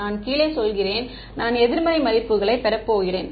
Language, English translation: Tamil, I am going down I am going to get negative values